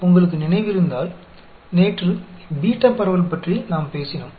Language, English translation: Tamil, Yesterday, we talked about the beta distribution, if you remember